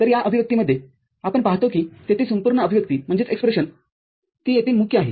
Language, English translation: Marathi, So, here in this expression, we see that there the whole expression that is a prime over there